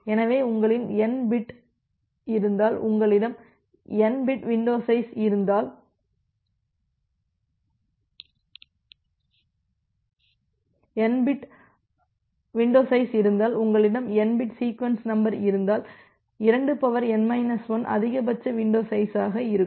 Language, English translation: Tamil, So, if you have n bit if you have n bit window size then we have sorry, if you have n bit sequence number then, you have 2 to the power n minus 1 as your maximum window size